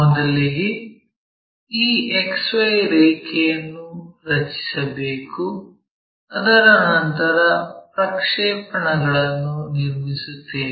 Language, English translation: Kannada, First we have to draw this XY line after that we draw a projector